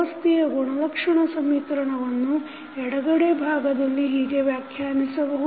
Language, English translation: Kannada, Characteristic equation of the system is defined as the left side portion